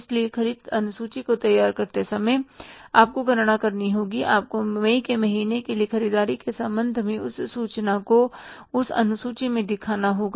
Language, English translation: Hindi, So, while preparing the purchase schedule you have to count for that, you have to show that information in that schedule with regard to the purchases for the month of May also